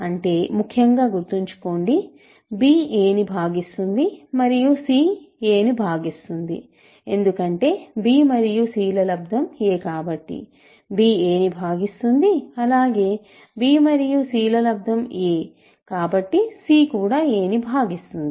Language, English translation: Telugu, Suppose, we have such a thing; that means, in particular remember that means, b divides a and c divides a, because b times is a, b divides a, again b times is a, so c also divides a